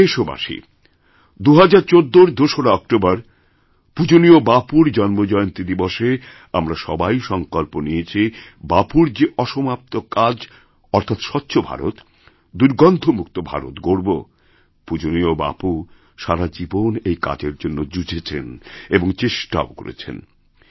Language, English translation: Bengali, My dear countrymen, all of us made a resolve on Bapu's birth anniversary on October 2, 2014 to take forward Bapu's unfinished task of building a 'Clean India' and 'a filth free India'